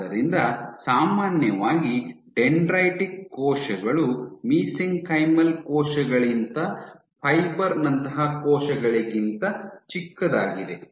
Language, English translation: Kannada, So, generally dendritic cells are much smaller than cells like fiber than mesenchymal cells